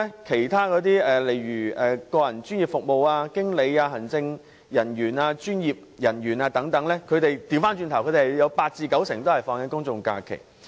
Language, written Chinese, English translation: Cantonese, 其他行業的從業員，如個人專業服務、經理、行政人員、專業人員等，則有八至九成可享有公眾假期。, Among other employees such as personal professional service workers managers administrators and professionals 80 % to 90 % are entitled to general holidays